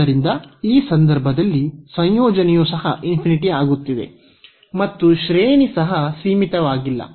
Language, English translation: Kannada, So, in this case the integrand is also becoming infinity and the range is also not finite